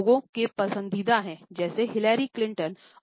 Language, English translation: Hindi, This is a favourite of people such a Hillary Clinton and Marilyn Monroe